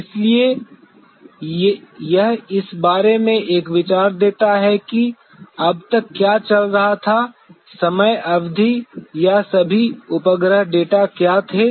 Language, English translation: Hindi, So, this gives an idea about what was going on till that time period or what all the satellite data were there